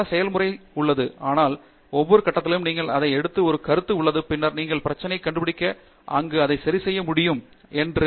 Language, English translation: Tamil, There is a lot of iterative process, but at every stage there is a feedback you take it and then you find out where the problem is and fix it there and come back and so on